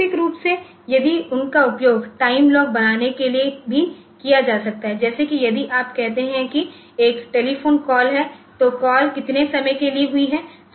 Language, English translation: Hindi, Alternatively, if they can also be used for creating a time logs, like say if you are if there is a telephone call, so how long the call has taken place